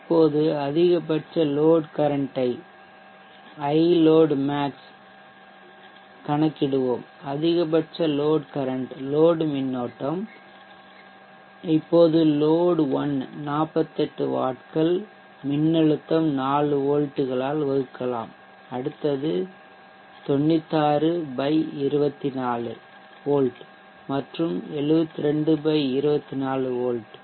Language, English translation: Tamil, Let us now calculate the peak load current, the peak load current is now you see that for load one is contributing 48 wax divided by the voltage 24 volts, will be the lower will be load current contribution of that load 96 / 24 volts and 72 / 24volts